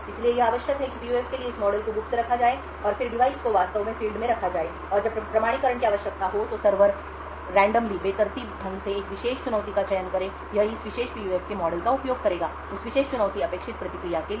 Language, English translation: Hindi, So what is required is that this model for the PUF is kept secret and then the device is actually fielded and when authentication is required, the server would randomly choose a particular challenge, it would use this model of this particular PUF to create what is the expected response for that particular challenge